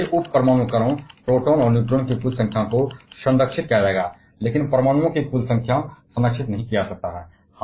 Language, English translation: Hindi, And therefore, total number of the sub atomic particles that is protons and neutrons will be conserved, but total number atoms may not be conserved